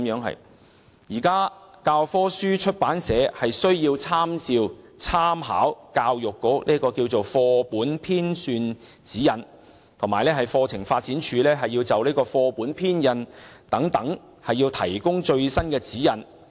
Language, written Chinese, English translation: Cantonese, 現時教科書出版社在編寫教科書時，須參照教育局的《課本編纂指引》及課程發展處就課本編印等事宜提供的最新指引。, Currently textbook publishers are required to follow the Guidelines for Printing of Textbooks and the latest relevant syllabusescurriculum guides developed by the Curriculum Development Council in writing and compiling textbooks